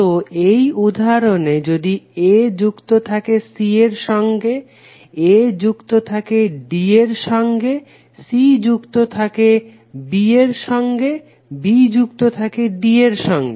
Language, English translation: Bengali, So in this example if a is connected to c here, a is connected to c here and a is connected to c here, a is connected to d, a is connected to d and a is connected to d, c is connected to b, here c is connected to b and here also c is connected to b, b is connected to d here, b is connected to d here and b is connected to d here